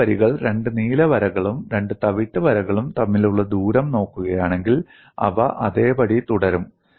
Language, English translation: Malayalam, And if you look at the distance between two lines two blue lines and two brown lines, they would remain same